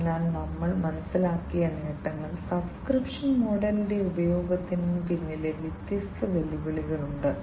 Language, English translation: Malayalam, So, advantages we have understood, there are different challenges behind the use of the subscription model